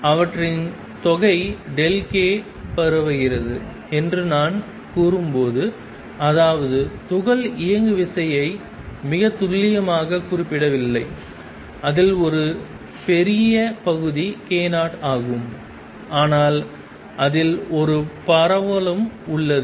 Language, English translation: Tamil, And when I say that their sum is spread delta k; that means, momentum of the particle is not specified very precisely a large chunk of it is k 0, but there is also a spread in it